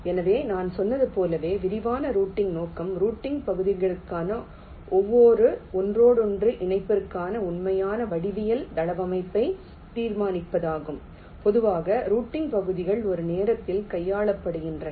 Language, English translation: Tamil, this scope of detailed routing is to determine the actual geometric layout for every interconnection net for the routing regions, and typically the routing regions are handled one at a time